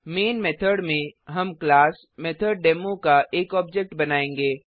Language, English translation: Hindi, So inside the Main method, we will create an object of the classMethodDemo